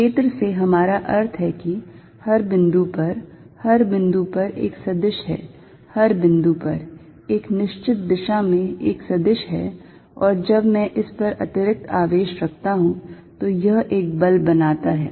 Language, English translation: Hindi, By field, we mean at every point, at every point, there is a vector, at every point, there is a vector point in a certain direction and when I put an extra charge on this, it creates a force